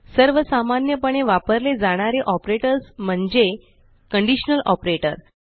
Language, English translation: Marathi, One of the most commonly used operator is the Conditional Operator